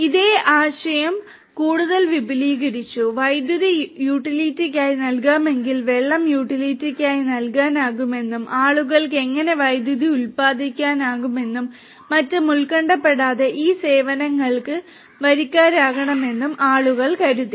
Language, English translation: Malayalam, The same concept was extended further, people thought that if electricity can be offered as utility, if water can be offered as utility and people can subscribe to this services without worrying how to generate electricity and so on